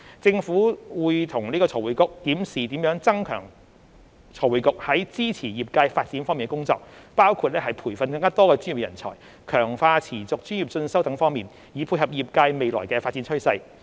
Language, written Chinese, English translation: Cantonese, 政府會與財匯局檢視如何增強財匯局在支持業界發展方面的工作，包括培訓更多專業人才、強化持續專業進修等方面，以配合業界未來的發展趨勢。, The Government will review with FRC how to enhance FRCs work in supporting the development of the industry including training more professionals and enhancing continuing professional development so as to tie in with the future development trend of the industry